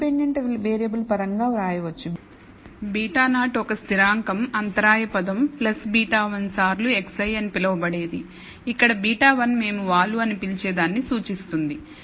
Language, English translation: Telugu, Can be written in terms of the independent variable as beta naught a constant called the intercept term plus beta one times x i, where beta one represents what we call the slope